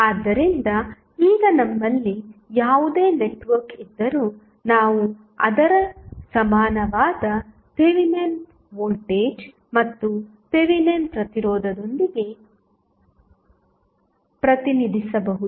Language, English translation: Kannada, So, now, whatever the network we have, we can represent with its equivalent Thevenin voltage and Thevenin resistance